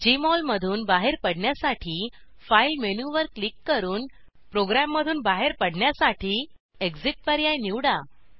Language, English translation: Marathi, To exit Jmol, click on the File menu and select Exit option, to exit the program